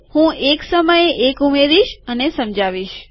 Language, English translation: Gujarati, I am going to add one at a time and explain